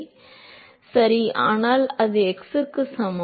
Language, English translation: Tamil, Right, but that is x equal to 0